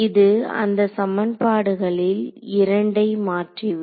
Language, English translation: Tamil, It will turn out that two of these equations are